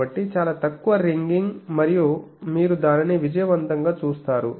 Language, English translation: Telugu, So, very low ringing and you see that successfully